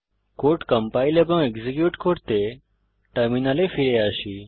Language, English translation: Bengali, Coming back to the terminal to compile and execute the code